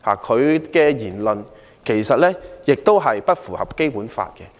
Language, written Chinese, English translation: Cantonese, 他的言論其實也不符合《基本法》。, In fact his remarks are also not in compliance with the Basic Law